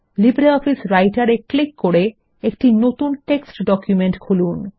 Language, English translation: Bengali, Let us now click on LibreOffice Writer to open a new text document